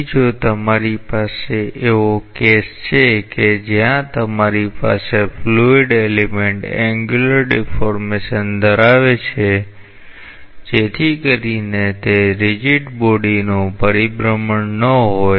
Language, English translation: Gujarati, So, if you have a case where you have the fluid element having an angular deformation so that it is not a rigid body rotation